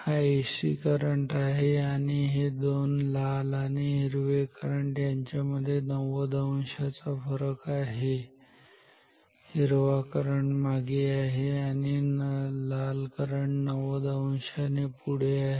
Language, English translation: Marathi, These are AC currents and the currents these two currents red and green they are 90 degree out of phase, one lagging a green current is lagging the red current by 90 degree